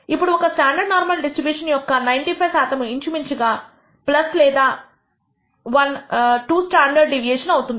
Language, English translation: Telugu, Now, we know that 95 percent of the of a standard normal variable will lie between plus or 1 minus 2 standard deviation approximately